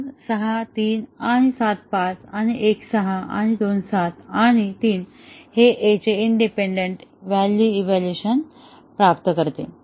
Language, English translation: Marathi, 2 and 6, 3 and 7, 5 and 1, 6 and 2, 7 and 3; this achieve independent evaluation of A